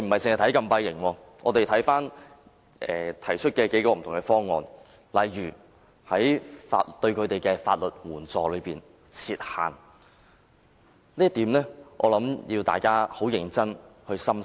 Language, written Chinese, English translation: Cantonese, 除禁閉營之外，議員還提出了數種不同方案，例如就提供法律援助設限，就這一點，我相信大家必須認真地深思。, Apart from the setting up of closed camps Members have also put forward a number of proposals such as imposing a cap on the legal assistance provided but I think we should give the suggestion some very serious consideration